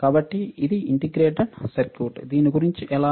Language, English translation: Telugu, So, this is integrated circuit, how about this